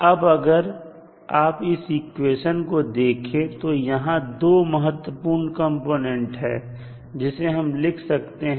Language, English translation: Hindi, Now, if you see this particular equation you will come to know there are 2 important components in the equation